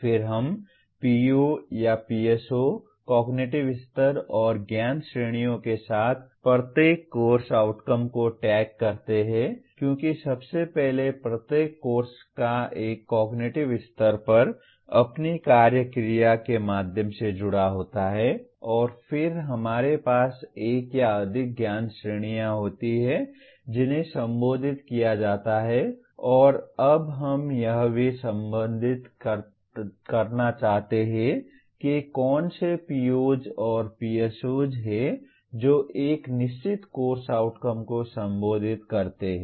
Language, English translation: Hindi, Then we tag each course outcome with the POs or the PSOs, cognitive levels and knowledge categories addressed because each course first of all is associated with one cognitive level through its action verb and then we have one or more knowledge categories that are addressed and now we also want to associate which are the POs and PSOs that a course outcome addresses